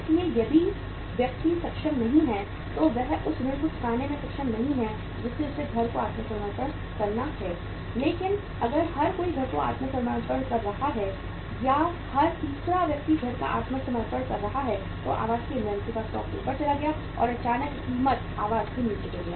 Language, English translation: Hindi, So if the person is not able, is not able to repay the loan he has to surrender the house but if everybody is surrendering the house or every third person is surrendering the house the stock of the inventory of the housing went up and suddenly the price of the housing fell down